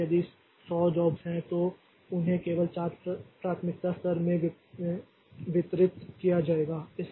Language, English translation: Hindi, So if if there are 100 jobs, so they will be distributed into this four priority levels only